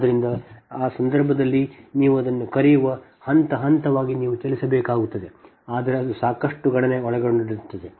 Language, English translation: Kannada, so in that case, what you call that, just step by step you have to move but lot of computation is involved